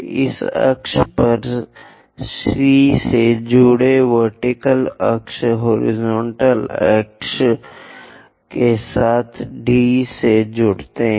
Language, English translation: Hindi, Join C onto this axis vertical axis join D with horizontal axis